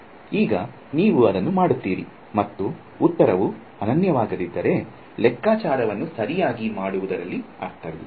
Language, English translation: Kannada, Now you do it and if the answer is not going to be unique, you know what is the point of doing the calculation right